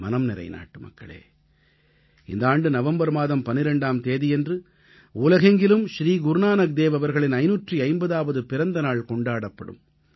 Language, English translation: Tamil, My dear countrymen, the 12th of November, 2019 is the day when the 550th Prakashotsav of Guru Nanak dev ji will be celebrated across the world